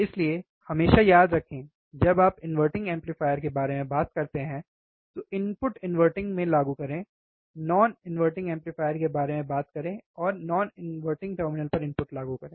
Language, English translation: Hindi, So, always remember when you talk about inverting amplifier, apply the input to inverting talk about the non inverting amplifier apply input to non inverting terminal